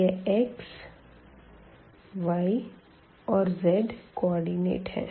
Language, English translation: Hindi, So, this is the picture here the x coordinate y coordinate and this z coordinate